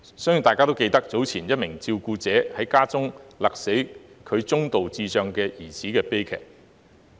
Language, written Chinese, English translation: Cantonese, 相信大家都記得，早前一名照顧者在家中勒斃其中度智障兒子的悲劇。, As Members may recall some time ago there was a tragedy in which a boy with moderate intellectual disability was strangled to death at home by his carer